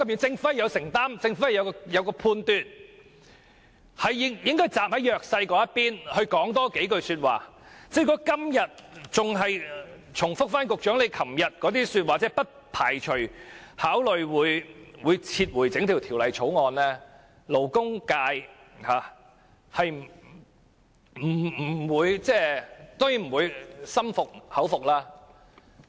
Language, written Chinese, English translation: Cantonese, 政府應有承擔和判斷，政府應站在弱勢的一方來多發聲，如果局長今天仍重複其昨天的發言，即不排除考慮會撤回整項《條例草案》，勞工界當然不會心悅誠服。, The Government should have a sense of commitment and judgment and throw weight behind the weak side by speaking out for it . If today the Secretary still repeats the remarks made by him yesterday that is he does not rule out the possibility of considering the withdrawal of the entire Bill the labour sector will certainly not be convinced